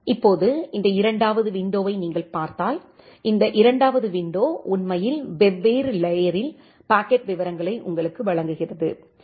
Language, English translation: Tamil, Now, inside this packet if you look into this second window, this second window actually gives you the packet details at the different layers